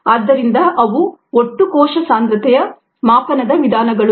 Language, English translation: Kannada, so those are the methods for total cell concentration measurement